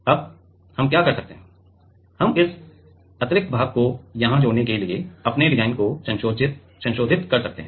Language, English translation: Hindi, Now, what we can do is; we can modify our design to add this extra portions here